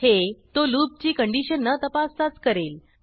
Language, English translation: Marathi, It will do so without checking the loop condition